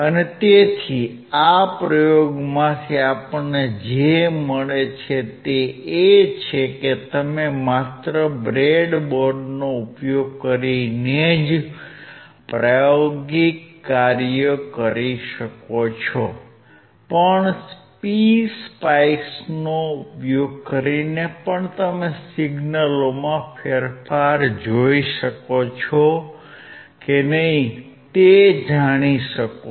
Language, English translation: Gujarati, So, what we find from this experiment is that you can perform the experiment not only using the breadboard, but also by using PSpice and you can find out whether you can see the change in signals or not